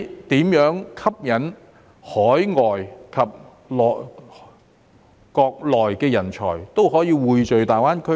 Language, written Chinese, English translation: Cantonese, 如何吸引海外及國內的人才匯聚大灣區呢？, How to attract talents from overseas and the Mainland to GBA?